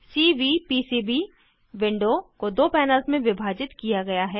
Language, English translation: Hindi, The Cvpcb window is divided into two panels